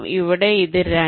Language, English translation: Malayalam, this is two